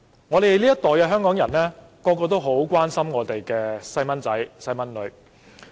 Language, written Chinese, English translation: Cantonese, 我們這一代香港人，人人都很關心自己的子女。, Hongkongers in our generation are all very much concerned about their children